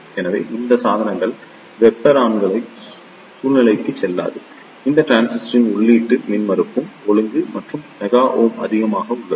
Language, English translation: Tamil, Hence, these devices do not go into the thermal runaway situation and the input impedance of these transistors are also high of the order or mega ohm